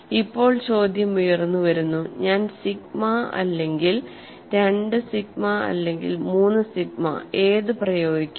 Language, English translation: Malayalam, Now the question arises should I apply only sigma or two sigma or three sigma